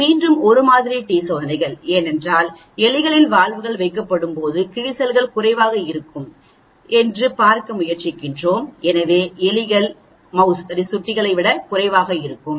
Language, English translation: Tamil, This is again a 1 sample t tests, because we are trying look at wear is less when the valves are placed in rats, so rats will be less than the mouse